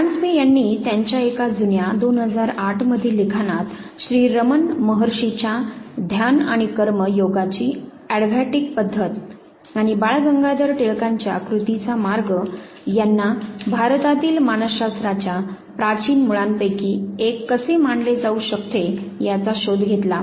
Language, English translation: Marathi, One of the old work of Paranjpe 2008 work where he has also know traced at how the work of Sri Ramana Maharshi's advaitic method of meditation and karma yoga, and the path of action by Balgangadar Tilak, how this can be considered as one of the ancient roots of psychology in India